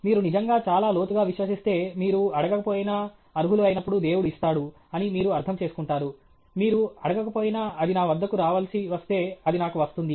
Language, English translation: Telugu, If you really believe so deeply, then at some stage you will understand what is it you will not give which I deserve if you don’t ask, even if you don’t ask, if it has to come to me it will come to me